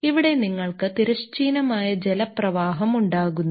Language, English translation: Malayalam, So, you are having a horizontal current of water